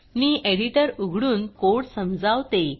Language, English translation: Marathi, So I will open the editor and explain the code